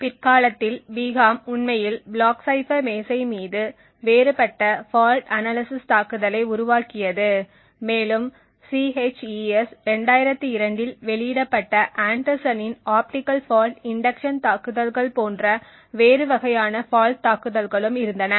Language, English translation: Tamil, Later on, Biham actually developed differential fault analysis attack on the block cipher desk and also there were other different types of fault attack like the optical fault induction attacks by Anderson which was published in CHES 2002